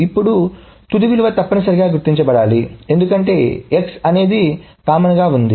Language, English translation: Telugu, Now it must happen that the final value is noted because the X is a common